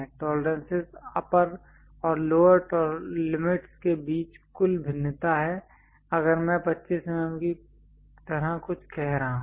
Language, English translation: Hindi, The tolerance is a total variation between upper and lower limits, if I am saying something like 25 mm